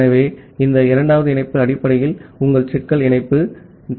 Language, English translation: Tamil, So, this second link is basically your bottleneck link